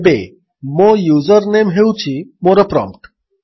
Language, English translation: Odia, Now my username is my prompt